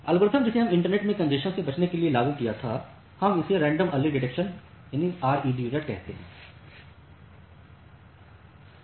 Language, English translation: Hindi, So, the algorithm that we applied for congestion avoidance in the internet we call it as random early detection or RED